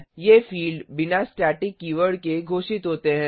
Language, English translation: Hindi, These fields are declared without the static keyword